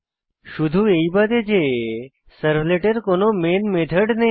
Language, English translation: Bengali, Except that a servlet does not have a main method